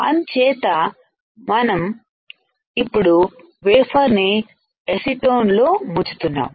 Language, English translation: Telugu, So, we are now dipping the wafer in to acetone